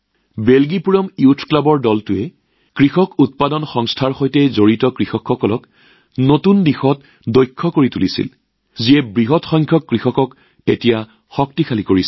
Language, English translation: Assamese, The team of 'Beljipuram Youth Club'also taught new skills to the farmers associated with Farmer ProducerOrganizations i